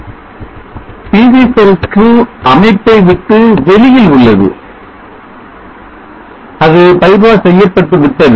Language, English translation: Tamil, PV cell 2is out of the system it is by pass